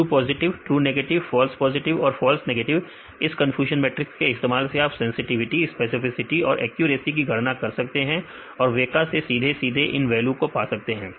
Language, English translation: Hindi, True positives; true negatives, false positives and false negatives using this confusion matrix you can calculate sensitivity specificity and accuracy; also weka directly you can get the values